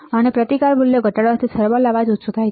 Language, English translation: Gujarati, And lowering the resistance values also reduces the thermal noise